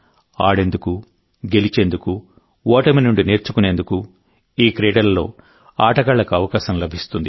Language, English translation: Telugu, They give players a chance to play, win and to learn from defeat